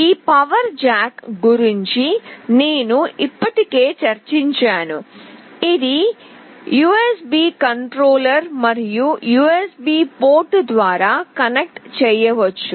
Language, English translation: Telugu, I have already discussed about this power jack, this is the USB controller, and USB port through which it can be connected